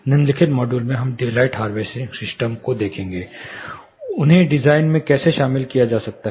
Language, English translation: Hindi, In the following module we will look at daylight harvesting system and how they can be incorporated in the design